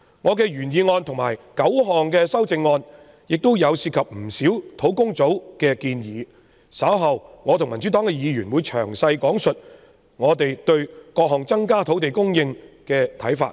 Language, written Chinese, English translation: Cantonese, 我的原議案和9項修正案均涉及不少專責小組的建議，稍後我和民主黨的議員會詳細講述我們對各項增加土地供應措施的看法。, My original motion and the nine amendments concern a number of recommendations of the Task Force . Members from the Democratic Party and I will spell out our views on various measures to increase land supply